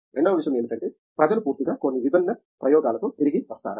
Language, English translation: Telugu, Second thing is that, do people come back with entirely new different way of experiments